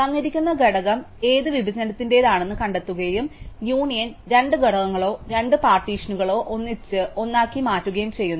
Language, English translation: Malayalam, Find tells us which partition a given element belongs to and union combines two components or two partitions into a single one